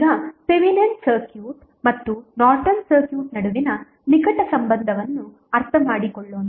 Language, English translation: Kannada, Now, let us understand the close relationship between Thevenin circuit and Norton's circuit